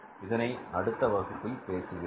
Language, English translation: Tamil, I will discuss with you in the next class